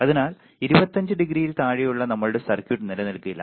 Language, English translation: Malayalam, So, our circuit under 25 degree may not remain